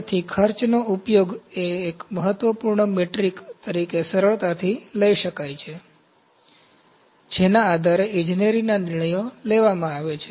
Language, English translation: Gujarati, So, cost can be readily used as an important metric on which to base engineering decisions are made